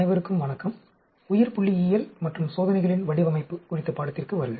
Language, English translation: Tamil, Hello everyone, welcome to the course on Biostatistics and Design of Experiments